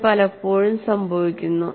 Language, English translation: Malayalam, And this often happens